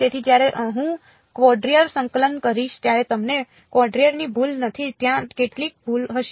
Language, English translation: Gujarati, So, that you do not have the error of quadrature when I do quadrature integration there will be some error